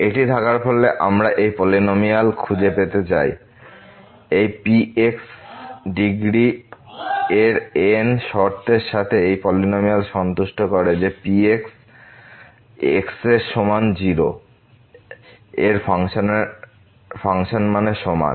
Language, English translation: Bengali, Having this we wish to find this polynomial of degree , with the conditions that this polynomial satisfies that polynomial at is equal to 0 is equal to the function value at 0